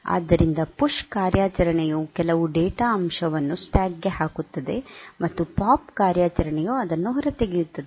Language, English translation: Kannada, So, the PUSH operation so, this will put some data element into the stack, and the POP operation will take it out